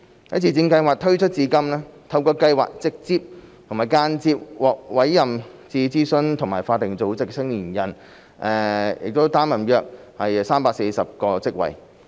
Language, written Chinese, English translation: Cantonese, 在自薦計劃推出至今，透過計劃直接和間接獲委任至諮詢組織和法定組織的青年人，擔任約340個職位。, Since the introduction of MSSY around 340 positions have been filled by young people directly and indirectly appointed to the advisory and statutory bodies through the scheme